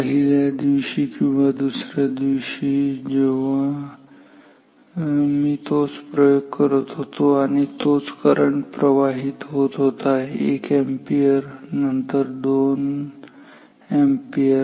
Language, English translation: Marathi, In day 1 or in day 2 when I was doing the same experiment and same current was flowing 1 ampere then 2 ampere